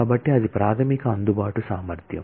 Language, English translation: Telugu, So, that is the basic reach ability